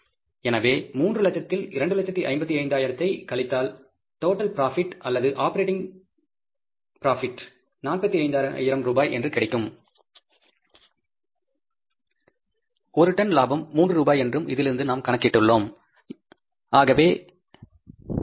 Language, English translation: Tamil, So, 3,000s minus 255,000 is the total profit, operating profit is called as the 45,000 rupees and per ton profit is three rupees we have calculated from this, right